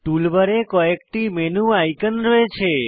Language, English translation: Bengali, Tool bar has a number of menu icons